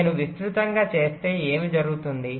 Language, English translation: Telugu, so if i make it wider, what will happen